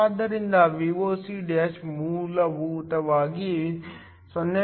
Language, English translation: Kannada, So, Voc' is essentially 0